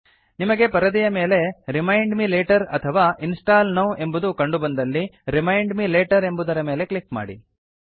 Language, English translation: Kannada, If you get a screen saying Remind me later or Install now, click on Remind me later